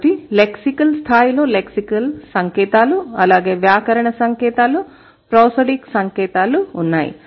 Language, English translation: Telugu, So, at the lexicon level, you have lexical signs, grammaticalical signs and prosodic signs